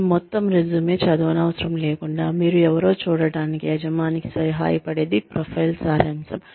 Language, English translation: Telugu, Profile summary is, what helps the employer see, who you are, without having to go through your entire resume